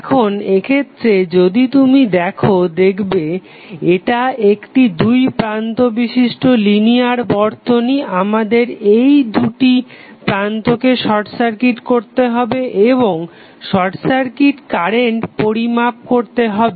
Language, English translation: Bengali, So, now if you see in this case if this is a two terminal linear circuit we have to short circuit these two terminals and we have to measure the current that is short circuit current